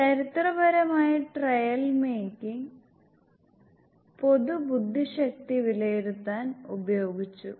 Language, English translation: Malayalam, Historically trail making was used to verses general intelligence